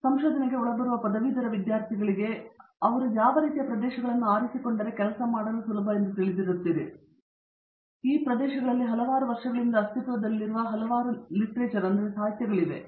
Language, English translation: Kannada, So, an incoming graduate students would, if they picked up these kinds of areas you know to work in then there is a lot of pre existing literature in these areas spread across several years